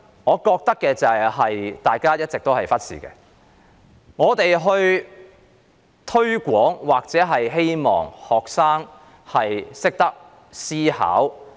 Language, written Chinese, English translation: Cantonese, 我認為大家一直忽視一點，就是我們都希望學生懂得思考。, I think we have always neglected one point ie . we all hope that students will have their own way of thinking